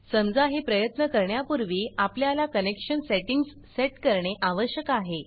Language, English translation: Marathi, Supposing we try this, before that we also need to set up connection settings